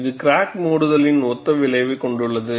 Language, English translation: Tamil, It has a similar effect of crack closure